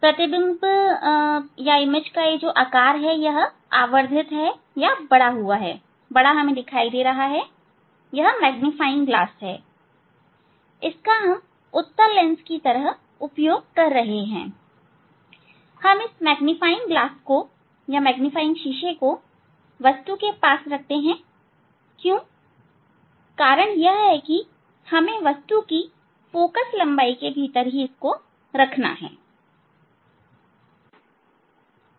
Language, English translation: Hindi, image, eye will see the image here, of that object an image size is this, so it is a magnified, this is the magnifying glass, this is the magnifying glass we are using as convex lens and we use the magnifying glass close to the, close to the object reason is that we have to keep the object within the focal length,